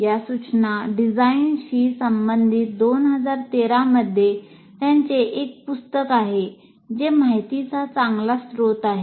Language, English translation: Marathi, And there is a 2013 book written by him related to this instruction design that is a good source of information